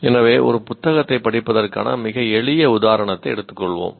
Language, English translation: Tamil, So let us take a very simple example of reading a book